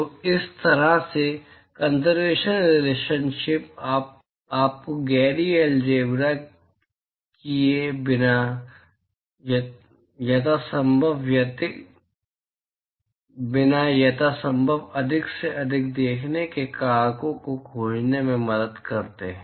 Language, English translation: Hindi, So, such kind of conservation relationship helps you in finding as many view factors as possible without doing the gory algebra